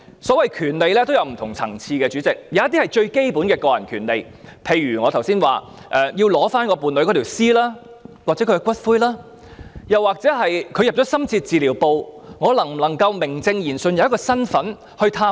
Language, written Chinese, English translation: Cantonese, 所謂權利也有很多不同層次，有些是最基本的個人權利，例如剛才所說要領回伴侶的屍體或骨灰，又或當伴侶身處深切治療部時，能否名正言順地有一個身份入內探望？, The rights involved are also of many different levels and some are the most basic personal rights such as the rights mentioned just now for couples to claim the dead body or cremated ashes of their partner . Alternatively will homosexual couples be given a right and proper status so that they may visit their partner when heshe is admitted to intensive care unit?